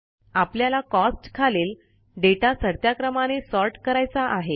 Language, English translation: Marathi, Lets say, we want to sort the data under the heading Costs in the ascending order